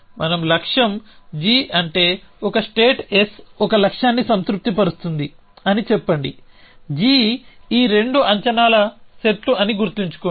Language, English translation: Telugu, So, we say that the goal g such so let say a state S satisfies a goal g remember both of these are sets of predicates